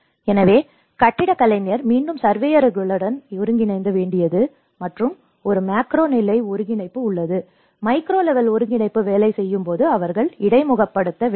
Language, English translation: Tamil, So, this is where architect has to again coordinate with the surveyors and there is a macro level coordination, when micro level coordination works they have to interface